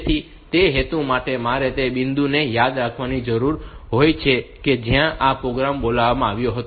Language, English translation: Gujarati, So, for that purpose I need to remember the point at which this program was called